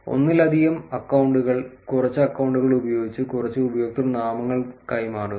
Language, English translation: Malayalam, Maintain multiple accounts, few exchange usernames with the multiple accounts